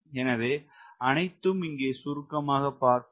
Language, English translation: Tamil, all those things will get summarized